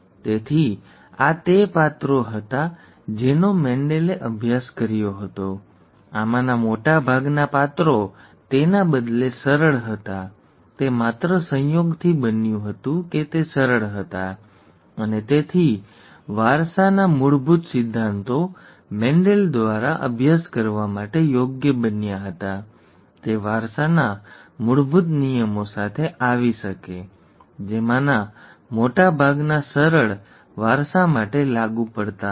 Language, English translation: Gujarati, So these were the characters that Mendel studied, most of these characters were rather simple, it just happened by chance that they were simple and therefore the basic principles of inheritance could be, became amenable to study by Mendel; he could come up with the basic laws of inheritance, most of which is, was applicable for simple inheritance